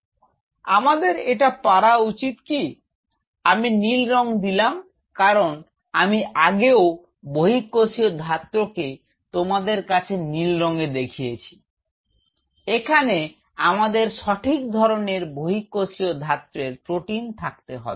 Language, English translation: Bengali, So, I should we able to could this I am just putting blue because since I showed you the extracellular matrix in blue I am just putting it with blue should have the right set of extracellular matrix protein out here